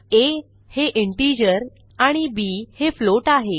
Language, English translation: Marathi, a which is an integer and b which is a float